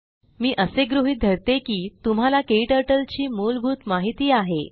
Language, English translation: Marathi, We assume that you have basic working knowledge of Kturtle